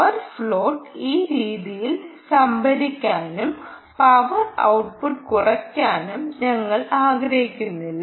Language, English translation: Malayalam, we don't want power float to happen this way and reduce the power output here